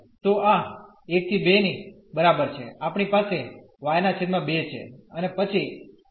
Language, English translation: Gujarati, So, this is equal to 1 to 2 we have y by 2, and then x square